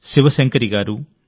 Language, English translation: Telugu, Shiv Shankari Ji and A